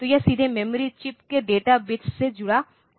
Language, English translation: Hindi, So, this is straightaway connected to the data bits of the memory chip